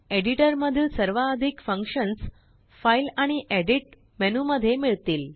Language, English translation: Marathi, Most of the functions of the editor can be found in the File and Edit menus